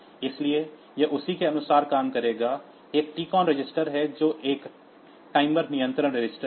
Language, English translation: Hindi, So, that it will operate accordingly then, there is a TCON register, which is a timer control register